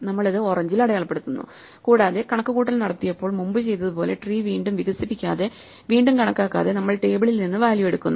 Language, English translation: Malayalam, So, we mark it in orange, and we just take the value from the table without expanding and computing the tree again as we had done before when we did the naive computation